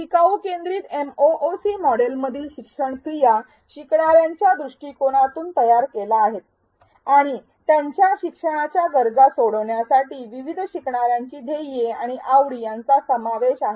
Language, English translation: Marathi, The learning activities in the learner centric MOOC model are designed from the perspective of the learner and to address their learning needs, goals and interests of diverse learners